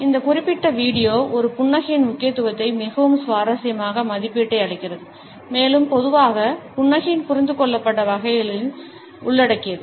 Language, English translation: Tamil, This particular video gives a very interesting assessment of the significance of a smiles and also covers normally understood types of a smiles